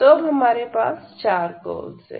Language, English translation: Hindi, So, these are the 4 curves